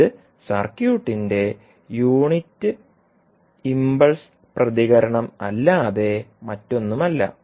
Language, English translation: Malayalam, So this would be nothing but the unit impulse response of the circuit